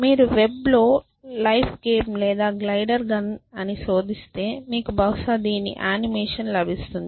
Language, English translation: Telugu, So, if you just search game of life or glider gun on the web you will probably get to see on animation of this